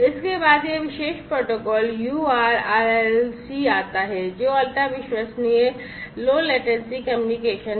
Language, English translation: Hindi, Next comes this particular protocol URLLC which is Ultra reliable Low Latency Communication